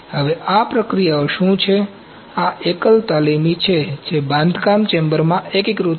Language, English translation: Gujarati, Now what are these processes, these are standalone apprentices which are integrated into build chamber